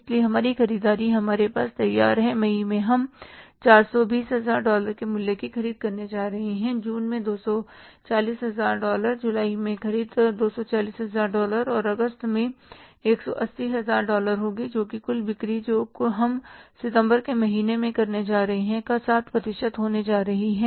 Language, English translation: Hindi, 420,000 worth of the dollars we are going to purchase in May, June is $240,000, July purchases will be $240,000 and August will be $180,000 which is going to be 60% of the total sales we are going to make in the month of September, but purchases be in the month of August and that is 180,000 worth of dollars right